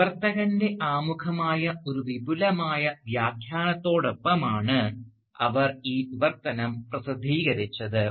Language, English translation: Malayalam, And she published this translation along with an extensive commentary on the text, which formed the Translator's Preface